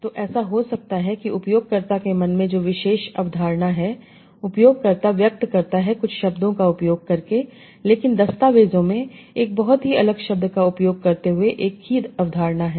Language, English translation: Hindi, So it might happen that the particular concept that the user has in mind, the user is expressing by using certain words, but the documents have the same concept using a very, very different word